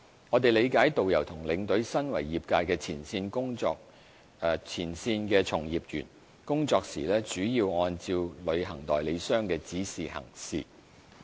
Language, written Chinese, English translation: Cantonese, 我們理解，導遊和領隊身為業界前線從業員，工作時主要按照旅行代理商的指示行事。, We recognize that tourist guides and tour escorts as frontline trade practitioners mainly follow travel agents instructions whilst working